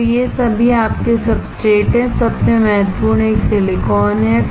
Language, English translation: Hindi, So, all these are your substrate, with the most important one is silicon